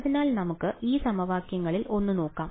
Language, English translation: Malayalam, So, let us look at just one of those equations ok